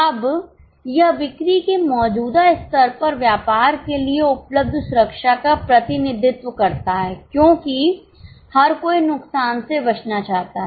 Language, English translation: Hindi, Now this represents the safety available to business at current level of sales because everybody wants to avoid losses